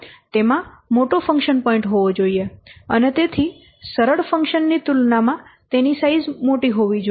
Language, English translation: Gujarati, It should have larger function point and hence it should have larger size as compared to a simpler function